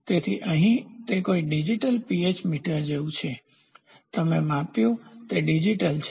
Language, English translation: Gujarati, So, here it is something like digital pH meter, you have measured is digital